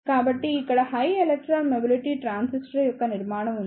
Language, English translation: Telugu, So, here is a structure of high electron mobility transistor